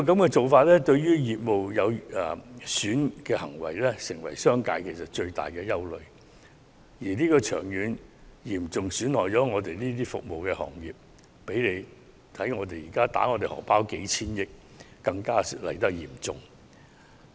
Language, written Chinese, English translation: Cantonese, 這種對業務有損的行為將成為商界的最大憂慮，長遠而言嚴重損害服務行業，比起現在迫我們掏出數千億元，傷害更為嚴重。, This course of action which is detrimental to business operations will be the biggest nightmare of the business sector . It will deal a serious blow to the service industry in the long run more damaging than forcing us to fork out hundreds of billions of dollars now